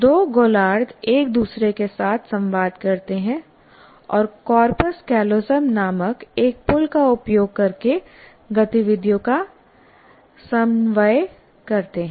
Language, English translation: Hindi, The two hemispheres communicate with each other and coordinate activities using a bridge called corpus callosum